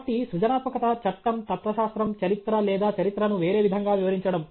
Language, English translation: Telugu, So, creativity can be in law, philosophy, history or interpreting history in a different way